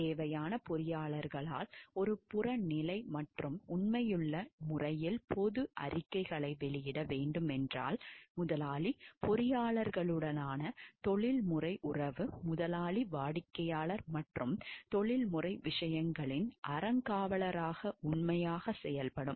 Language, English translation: Tamil, Where necessary engineers shall issue public statements in an objective and truthful manner, professional relationship with the employer engineers shall act faithfully as trustee of the employer client and professional matters